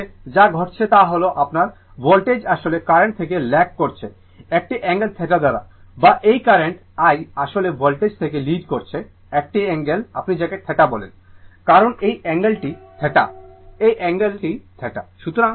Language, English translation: Bengali, In this case, what is happening that your voltage actually lagging from the current by an angle theta or this current I this current I actually leading this voltage by an angle your what you call theta, because this angle this angle is theta, this angle is theta right